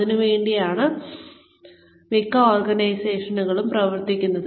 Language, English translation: Malayalam, That is what, most organizations are working for